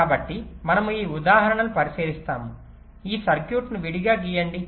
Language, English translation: Telugu, so we consider an example like: let us just draw this circuit separately